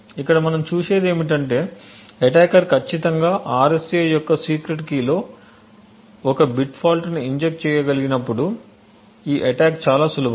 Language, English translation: Telugu, So, what we see over here is that this attack is extremely easy provided that the attacker is precisely able to inject 1 bit fault in the secret key of the RSA